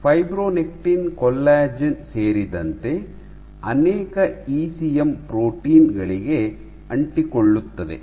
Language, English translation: Kannada, So, fibronectin is known to bind to multiple ECM proteins including collagen